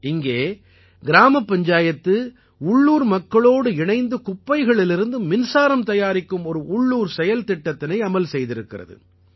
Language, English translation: Tamil, Here the Gram Panchayat along with the local people has started an indigenous project to generate electricity from waste in their village